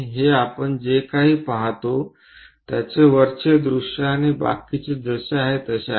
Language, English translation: Marathi, this is the top view what we will see and the rest of that as it is